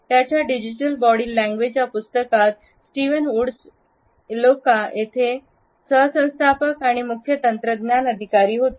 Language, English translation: Marathi, In his book Digital Body Language, Steven Woods is the co founder and Chief Technology officer at Eloqua